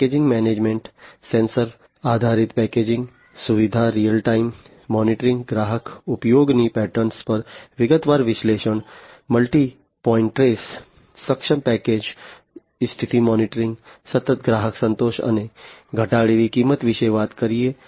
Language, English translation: Gujarati, Packaging management talks about sensor based packaging facility, real time monitoring, detailed analytics on customers usage patterns, multi point trace enabling package condition monitoring, continued customer satisfaction, and reduced cost